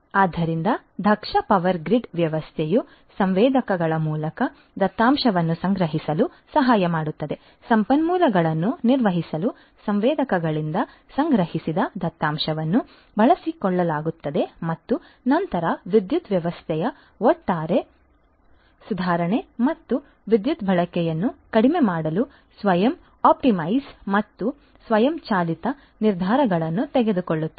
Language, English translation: Kannada, So, efficient power grid system would help in collecting the data through the sensors, use the data that are collected from the sensors to manage the resources and then optimize self optimize and take automated decisions for overall improvement of the power system and reduction of power usage